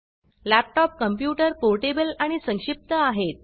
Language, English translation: Marathi, Laptops are portable and compact computers